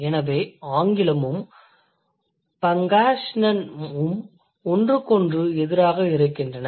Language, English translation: Tamil, So, English and Pangasinan, they are diametrically opposite to each other